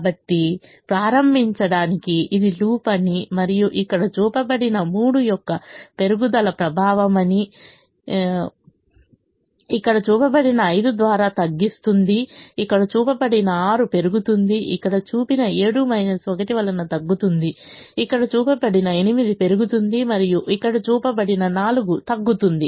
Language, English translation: Telugu, so to begin with we will say: this is the loop and the effect is an increase of three, which is shown here, reduces buy five, which is shown here, increases by six, which is shown here, reduces by seven because of minus one that is shown here, increases by eight, which is shown here, and reduces by four, which is shown here